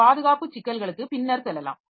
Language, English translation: Tamil, So, we'll be going to this security protection issues later